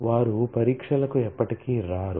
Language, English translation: Telugu, So, they will never come up for tests